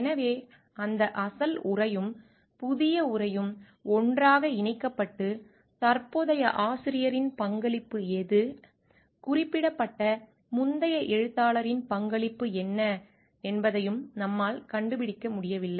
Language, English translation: Tamil, So, that original text and the new text gets merged together and like we are not able to find out like which is the contribution of the present author and what is the contribution of the earlier author who has been referred